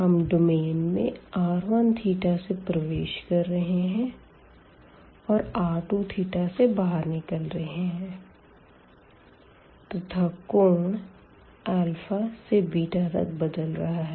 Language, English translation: Hindi, We are entering the domain from r 1 theta and existing the domain from r 2 theta, and the theta varies from the angle alpha to beta